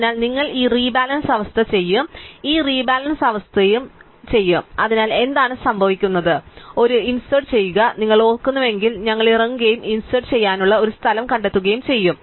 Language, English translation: Malayalam, So, you will do this rebalancing we will also do this rebalancing bottom up, so what happens we will be do an insert, if you remember is that we go down and we find a place to insert